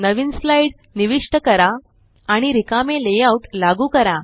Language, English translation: Marathi, Insert a new slide and apply a blank layout